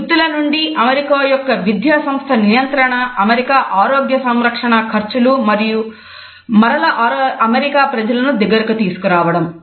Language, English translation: Telugu, From jobs American education control American health care costs and bring the American people together again